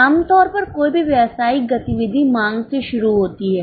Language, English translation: Hindi, Normally any business activities start with the demand